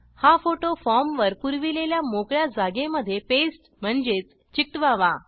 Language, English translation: Marathi, These photos have to pasted on the form in the spaces provided